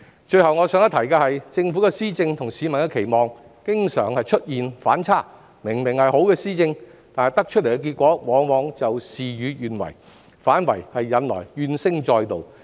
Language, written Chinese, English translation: Cantonese, 最後我想一提的是，政府的施政與市民的期望經常出現反差，明明是好的施政，但結果往往事與願違，引來怨聲載道。, The last point I would like to make is that there is often a contrast between the Governments policy implementation and the publics expectations . The supposedly good policies have often backfired leading to an avalanche of grievances